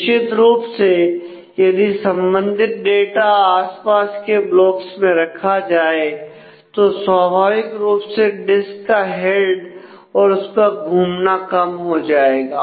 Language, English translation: Hindi, So, certainly if the related data are kept in nearby blocks then naturally you are disk head and the rotation will have to be mean will get minimized